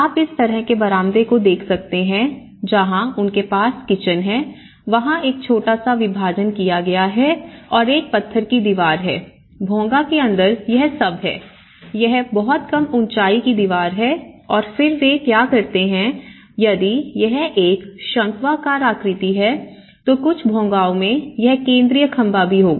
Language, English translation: Hindi, And you can see this kind of veranda and where they have the kitchen has been made a small partition and there is a stone wall you can see and how the inside of the Bhongas you know it has all, it has a very low height wall and then what they do is if it is a conical shape, so, in some of the Bhongas it will have also the central post